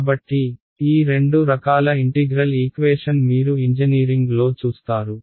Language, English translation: Telugu, So, these are the two kinds of integral equations that you will come across in the engineering literature right